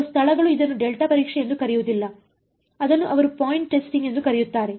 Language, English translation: Kannada, Some places will not call it delta testing they will call it point testing